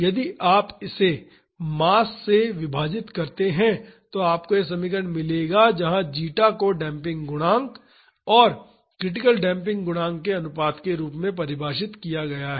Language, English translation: Hindi, If you divide this by mass you will get this equation where zeta is defined as the ratio of the damping coefficient and the critical damping coefficient